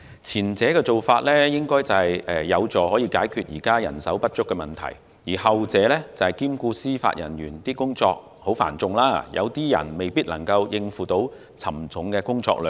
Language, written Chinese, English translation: Cantonese, 前者應有助解決現時人手不足的問題，後者則兼顧司法人員工作繁重，當中有些人未必能夠應付沉重的工作量。, The former should help solve the problem of insufficient manpower while the latter should address the heavy workload of Judicial Officers as some of them may not be able to cope with the workload